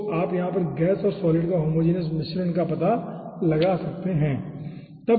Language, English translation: Hindi, so first one is homogenous flow, so you can find out homogenous mixture of gas and solid over here